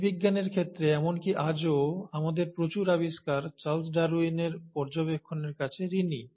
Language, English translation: Bengali, In terms of biology, even today, a lot of our discoveries, we owe it to the observations of Charles Darwin